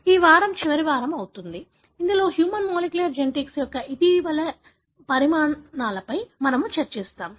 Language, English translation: Telugu, This week also happens to be the final week, wherein we will be discussing more recent developments in the area of human molecular genetics